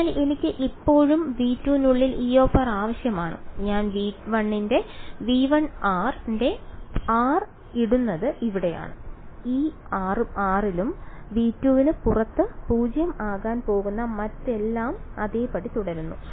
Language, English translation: Malayalam, So, I still need E r inside v 2 even though I am putting r belonging to v 1 r belonging to v 1 goes in over here and in this r everything else remains the same that is going to be 0 outside v 2 because see the variable of integration